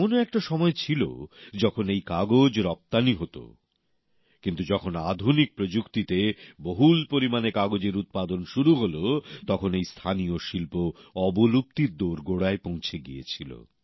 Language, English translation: Bengali, There was a time when this paper was exported but with modern techniques, large amount of paper started getting made and this local art was pushed to the brink of closure